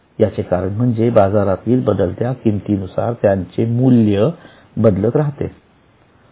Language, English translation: Marathi, The reason is because their value goes on changing with the changes in the market value in the market